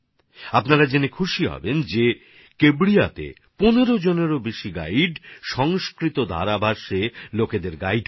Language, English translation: Bengali, You will be happy to know that there are more than 15 guides in Kevadiya, who guide people in fluent Sanskrit